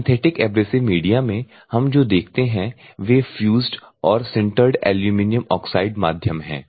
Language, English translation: Hindi, In synthetic abrasive media, so what we have to see is fused and sintered aluminium oxide medium